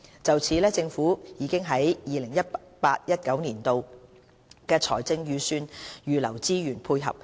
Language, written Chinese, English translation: Cantonese, 就此，政府已於 2018-2019 年度的財政預算預留資源配合。, The Government has earmarked funding in the 2018 - 2019 Budget for this purpose